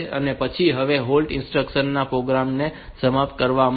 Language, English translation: Gujarati, So, then the this holt instruction this is for terminating the program